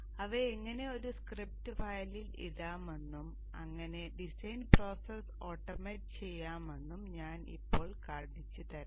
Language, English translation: Malayalam, So I will now show you how to put them into a script file and thus automate the design process